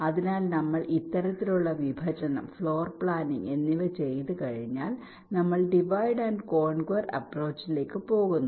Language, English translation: Malayalam, so once we do this kind of partitioning, floor planning, we are going for something like a divide and conquer approach